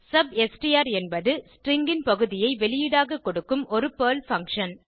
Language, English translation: Tamil, substr is the PERL function which provides part of the string as output